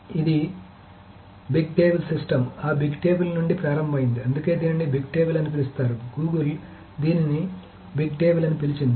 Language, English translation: Telugu, So this started the Big Table system started from that Big Table that is why it's called Big Table, Google called it actually Big Table